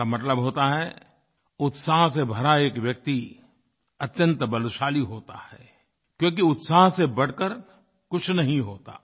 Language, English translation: Hindi, This means that a man full of enthusiasm is very strong since there is nothing more powerful than zest